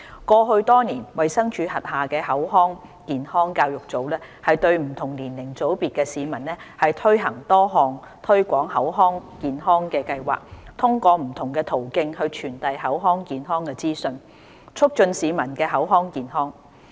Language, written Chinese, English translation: Cantonese, 過去多年，衞生署轄下的口腔健康教育組針對不同年齡組別的市民推行多項推廣口腔健康的計劃，通過不同途徑傳遞口腔健康資訊，促進市民的口腔健康。, Over the years the Oral Health Education Unit of the Department of Health DH has implemented oral health promotion programmes targeting different age groups and disseminated oral health information through various channels to enhance oral health of the community